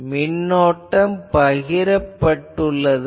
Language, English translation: Tamil, So, currents will be distributed